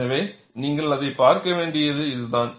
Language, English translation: Tamil, So, that is the way you have to look at it